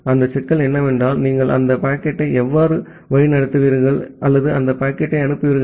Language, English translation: Tamil, That problem is that how will you route that packet or send that packet